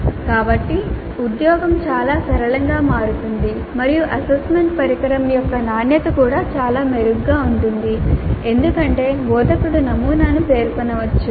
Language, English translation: Telugu, So the job becomes much simpler and the quality of the assessment instrument will also be much better because the instructor can specify the pattern